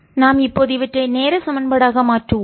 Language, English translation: Tamil, lets convert them into the time equation